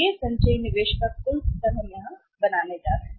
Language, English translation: Hindi, So, this is the total level of the cumulative investment we are going to make here